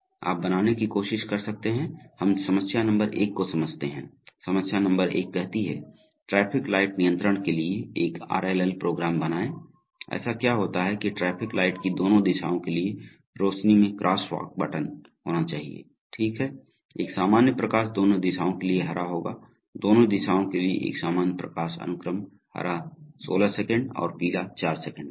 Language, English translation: Hindi, You can try to create, let us look at exercise problem number one, so the problem number one says, create an RLL program for traffic light control, so what happens that the lights should have crosswalk buttons for both direction of traffic lights, okay, a normal light sequence for both directions will be green, a normal light sequence for both directions will be green 16 seconds and yellow 4 seconds